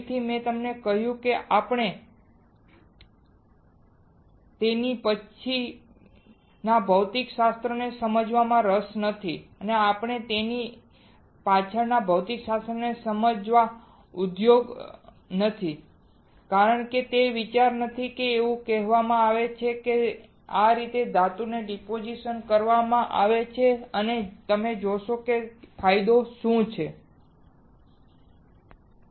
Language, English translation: Gujarati, Again, I told you we are not interested in understanding the physics behind it we are not industry understanding the physics behind it because that is not the idea is said this is how it is done depositing off metal and you will see what is the advantage disadvantage that is it